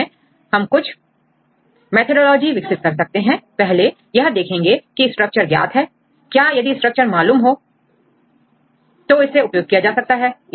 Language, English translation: Hindi, So, in this case you can derive some methodology, first you see whether the structure is known if the structure is known then you can use the particular structure